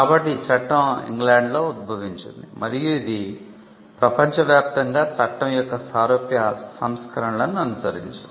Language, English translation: Telugu, So, the law originated in England and it was followed around the world similar versions of the law